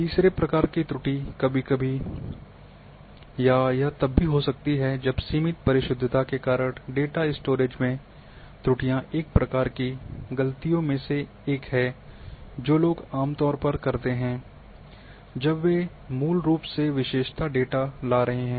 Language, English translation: Hindi, The third type of errors sometimes and this can also occur if the errors in the data storage, due to limited precision is one of the mistakes which people commit generally when they are bringing the attribute data especially